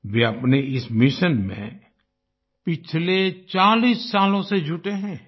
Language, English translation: Hindi, He has been engaged in this mission for the last 40 years